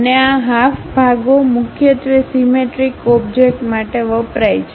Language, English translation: Gujarati, And, these half sections are used mainly for symmetric objects